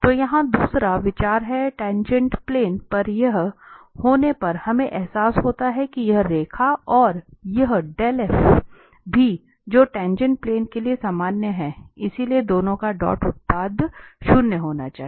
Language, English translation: Hindi, So, the second consideration here, so having this on the tangent plane what we realize that this line and also this Dell f which is normal to the tangent plane, so, the dot product of the 2 should be zero